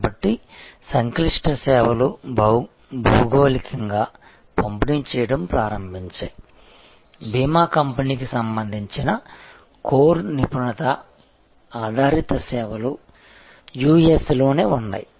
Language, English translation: Telugu, So, complex services started getting geographically distributed, the core expertise oriented services say for an insurance company remained in US